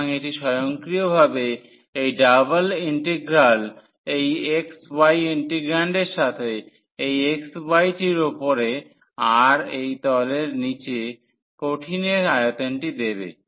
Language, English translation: Bengali, So, this automatically this double integral with the integrand this xy will give us the volume of the solid below by the surface and above this xy plane